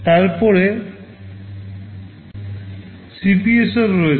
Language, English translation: Bengali, Then there is CPSR